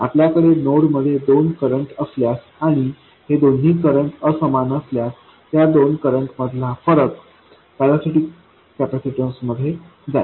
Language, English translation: Marathi, If you have two currents coming into a node and those two currents are unequal, the difference will flow into a parasitic capacitance